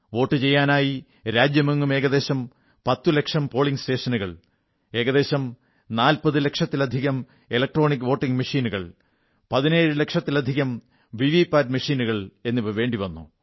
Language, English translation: Malayalam, For the voting, there were around 10 lakh polling stations, more than 40 lakh EVM machines, over 17 lakh VVPAT machines… you can imagine the gargantuan task